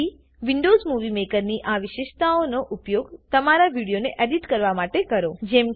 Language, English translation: Gujarati, So, use these features of Windows Movie Maker to edit your video